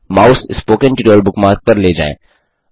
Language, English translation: Hindi, Move the mouse over the Spoken Tutorial bookmark